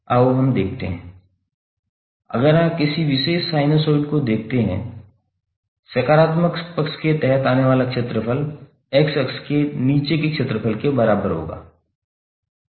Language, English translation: Hindi, Let us see if you see a particular sinusoid, the area under the positive side would be equal for area below the x axis